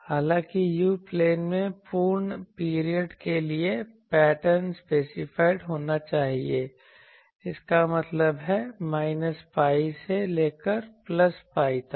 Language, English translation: Hindi, However, so the pattern should be specified for a complete period in the u plane; that means, from minus pi to plus pi